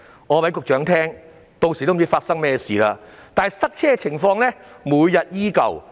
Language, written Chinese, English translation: Cantonese, 我告訴局長，屆時也不知道會發生甚麼事，但塞車的情況每天依舊。, I would like to tell the Secretary that no one knows what will happen by then . But traffic congestion continues day after day